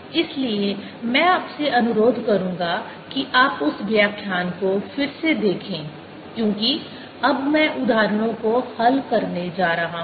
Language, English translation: Hindi, so i would request you to go and look at that lecture again, because now i am going to solve examples